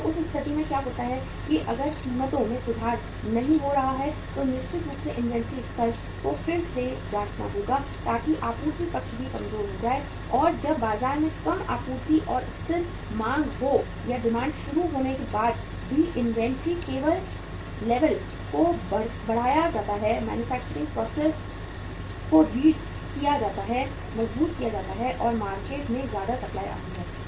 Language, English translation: Hindi, So in that case what happens that if the prices are not going up if the prices are not improving then certainly the inventory level has to be readjusted so that supply side also becomes weak and when there is a lesser supply and stable demand in the market or demand start picking up then only the inventory level is increased, manufacturing process is readjusted, strengthened and the more supply comes up in the market